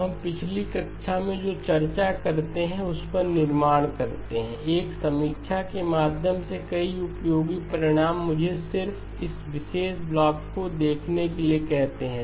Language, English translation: Hindi, Now let us build on what we have discussed in the last class, several useful result by way of a review let me just ask you to look at this particular block